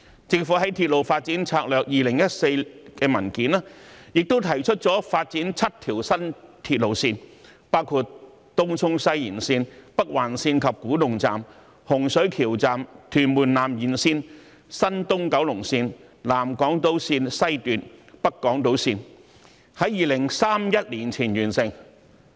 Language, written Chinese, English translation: Cantonese, 政府在《鐵路發展策略2014》的文件中，提出發展7個新鐵路項目，包括東涌西延綫、北環綫及古洞站、洪水橋站、屯門南延綫、東九龍綫、南港島綫、北港島綫，並在2031年前完成。, The government proposed in Railway Development Strategy 2014 to develop seven new railway projects namely Tung Chung West Extension Northern Link and Kwu Tung Station Hung Shui Kiu Station Tuen Mun South Extension East Kowloon Line South Island Line West and North Island Line which would be completed before 2031